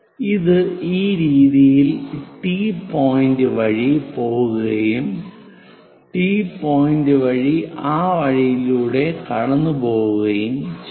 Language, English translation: Malayalam, It goes via T point in this way; pass via T point in that way